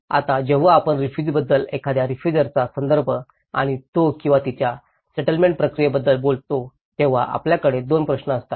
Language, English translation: Marathi, Now, when we talk about the refugee, the context of a refugee and his or her settlement process, so we have two questions